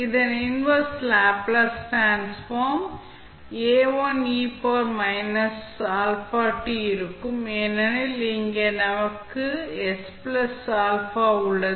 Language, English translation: Tamil, And then we find the inverse Laplace transform of each term, which we have found in the first step